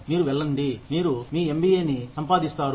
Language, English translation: Telugu, You go, you earn your MBA